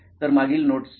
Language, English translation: Marathi, So verification of previous notes